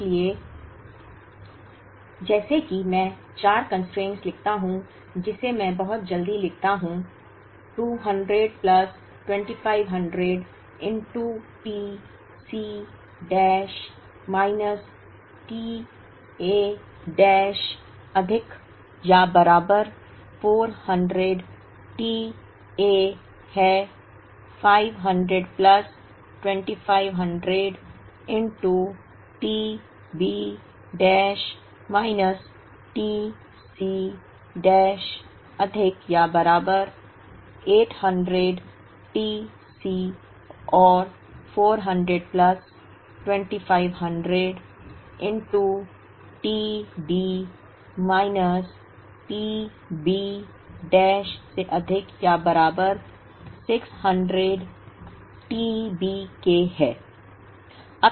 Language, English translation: Hindi, So, like that I write four constraints, which I write very quickly 200 plus 2500 into t C dash minus t A dash is greater than or equal to 400 t A, 500 plus 2500 into t B dash minus t C dash is greater than or equal to 800 t C and 400 plus 2500 into t D minus t B dash is greater than or equal to 600 t B